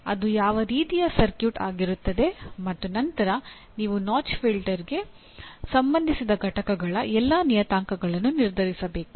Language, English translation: Kannada, What kind of circuit it would be and then you have to determine all the parameters of the components associated with the notch filter